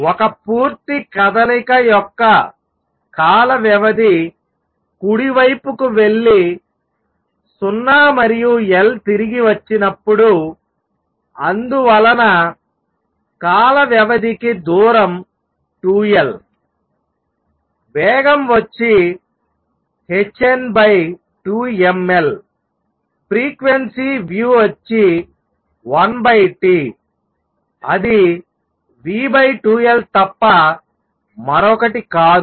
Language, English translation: Telugu, The time period for 1 complete motion is going to be when it goes to the right and comes back 0 and L therefore, the distance for a time period is 2 L speed is h n over 2 m L frequency nu is going to be one over T which is nothing but v over 2 L